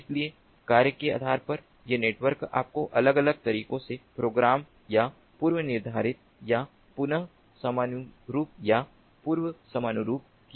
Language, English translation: Hindi, so depending on the mission, these networks can be, you know, programmed ah or predefined or reconfigured or preconfigured in different ways